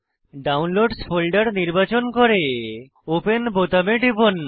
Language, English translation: Bengali, Select Downloads folder and click on open button